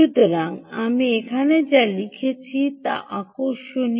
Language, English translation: Bengali, so what i wrote here is interesting